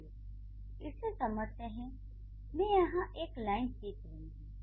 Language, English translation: Hindi, Now let's understand, I'm drawing a line here